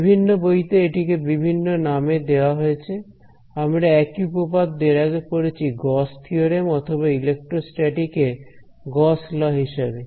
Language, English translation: Bengali, Different books will refer to them as different by different names, we have also studied the same theorem by Gauss theorem or in electrostatic called Gauss law